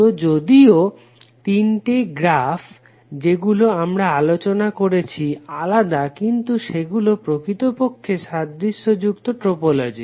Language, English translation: Bengali, So although the three graphs which we discussed are different but they are actually the identical topologies